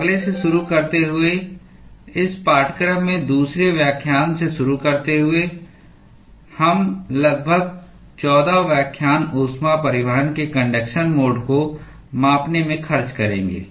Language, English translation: Hindi, So, starting from the next starting from the second lecture in this course, we will spend about 14 lectures quantitating the conduction mode of heat transport